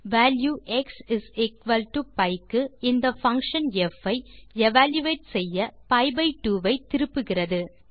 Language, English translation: Tamil, Evaluating this function f for the value x=pi returns pi by 2